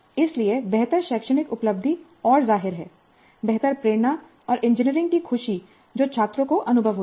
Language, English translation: Hindi, So improved academic achievement and obviously better motivation and joy of engineering which the students experience